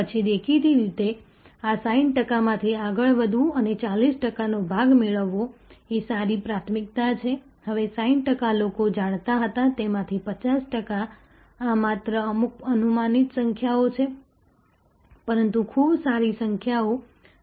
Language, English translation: Gujarati, Then; obviously, to go from this 60 percent and acquire part of the 40 percent is a good priority, now of the 60 percent who were aware, 50 percent this is just some hypothetical numbers, but pretty good numbers, this is what happens